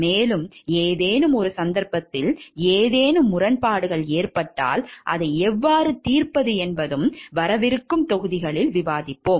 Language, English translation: Tamil, And if in any case some conflict of interest happens then how to solve it also we will discuss in the upcoming modules